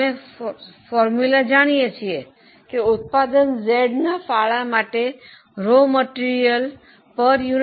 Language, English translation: Gujarati, We know the formula that for product Z contribution per raw material consumption is 0